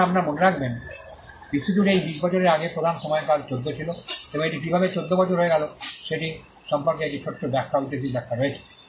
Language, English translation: Bengali, Now, mind you the predominant time period before this 20 year across the globe used to be 14 and there is a small explanation historical explanation as to how it came to be 14 years